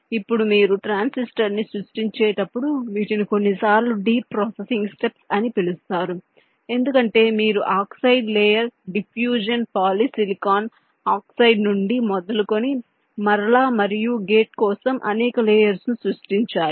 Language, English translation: Telugu, now, this transistor, when you are creating these are sometimes called deep processing steps, because you have to create a number of layers, starting from the oxide layer diffusion, polysilicon oxide